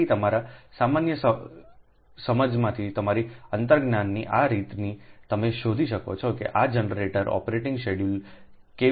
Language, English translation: Gujarati, so this way, from your intuition, from your common sense, you can find out how this generator operating schedule can be, ah, can be desired, made right